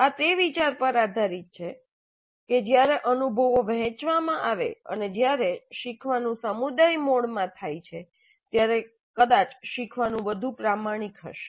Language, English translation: Gujarati, This is based on the idea that when the experiences are shared and when the learning happens in a community mode probably the learning will be more authentic